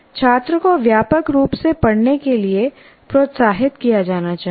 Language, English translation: Hindi, And then by and large, the student should be encouraged to read widely